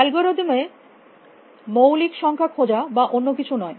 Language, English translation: Bengali, Not in algorithm to find prime or something